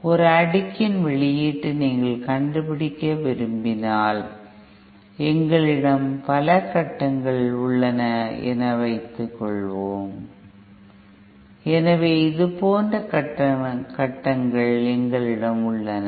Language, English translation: Tamil, If you want to find out the output of a cascaded, then suppose we have number of stages cascaded, so we have stages like this